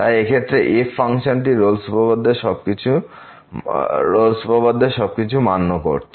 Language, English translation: Bengali, So, in this case this function satisfies all the conditions of the Rolle’s theorem